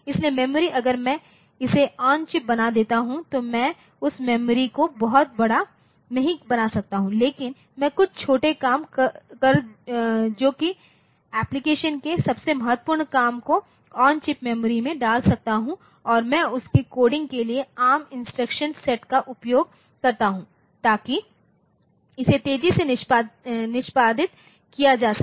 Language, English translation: Hindi, So, the memory if I since the it is made on chip so, I cannot make that memory very large, but I can put some small that is the most important jobs of the application, most important tasks of the application into that memory on chip memory and use them I use the ARM instruction set for their coding so that it will be executed faster